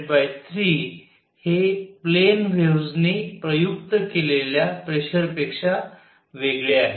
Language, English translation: Marathi, This u by 3 is different from the pressure applied by plane waves